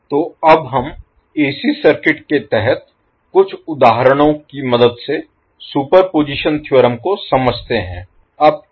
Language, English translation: Hindi, So, now let us understand the superposition theorem with the help of few examples under AC circuit